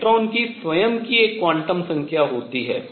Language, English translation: Hindi, So, this is called electron has a quantum number of it is own